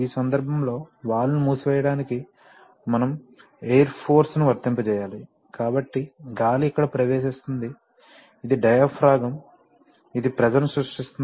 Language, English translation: Telugu, In this case for closing the valve we need to apply air force, so the air will enter here, this is the diaphragm on which it will create a pressure